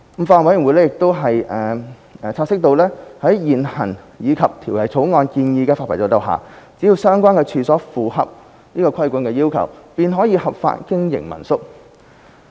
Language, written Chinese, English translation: Cantonese, 法案委員會亦察悉在現行及《條例草案》建議的發牌制度下，只要相關處所符合規管要求，便可合法經營民宿。, The Bills Committee has also noted that under the current licensing regime and the proposed licensing regime under the Bill a licence may be applied for any premises for lawful operation of home - stay lodging provided that the premises comply with the regulatory requirements